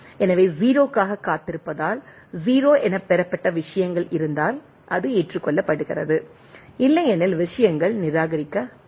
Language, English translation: Tamil, So, the if things received as 0 as it is waiting for the 0, then it is accepted otherwise things are rejected